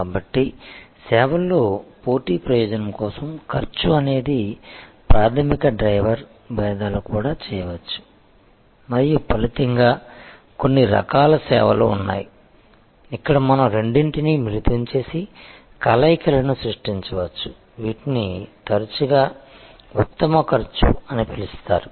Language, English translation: Telugu, So, cost is the primary driver for competitive advantage in services, differentiations can also be done and as a result there are of course, certain types of services, where we can combine the two and create combinations which are often called best cost